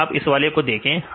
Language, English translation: Hindi, So, if you see this one